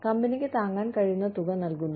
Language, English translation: Malayalam, Paying, what the company can afford